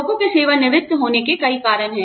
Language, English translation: Hindi, Various reasons are there, for people to retire